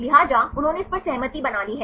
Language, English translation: Hindi, So, they have put this consensus